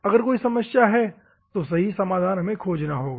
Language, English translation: Hindi, If there is a problem, so we have to find solutions